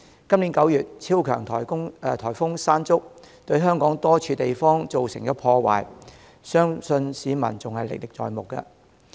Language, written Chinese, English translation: Cantonese, 今年9月，超強颱風"山竹"對香港多處地方造成破壞，相信市民仍歷歷在目。, In September this year super typhoon Mangkhut wreaked havoc at various places of Hong Kong which I believe members of the public still remember vividly